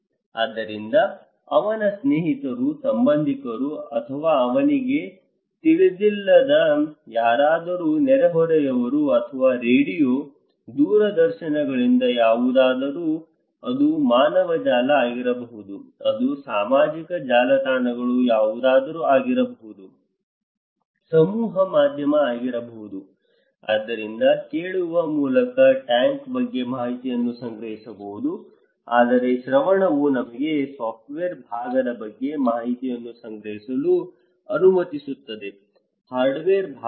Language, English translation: Kannada, So, his friends, relatives or maybe someone neighbours he does not know or from radio, televisions anything, it could be human networks, it could be social networks anything, a mass media so, he or she can collect information about tank through hearing but hearing can only allow you to collect information about the software part, not the hardware part